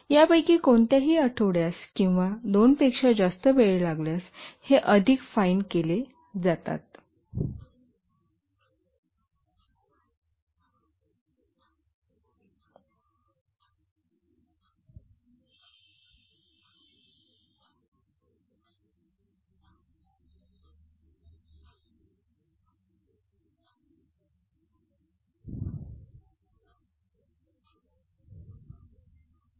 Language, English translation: Marathi, If any of these takes more than a week or 2, then these are decomposed into more finer level